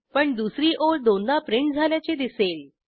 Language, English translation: Marathi, We see only the second line as printed